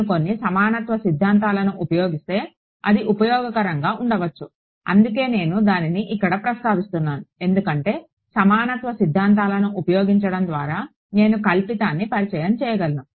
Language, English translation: Telugu, It may be useful if I use some of the equivalence theorems that is why I am mentioning it over here because by using equivalence theorems I can introduce a fictitious